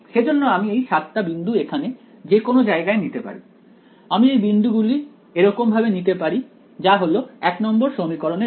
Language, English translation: Bengali, So, I could choose these 7 points anywhere here, I could choose these points like this right for this is for equation 1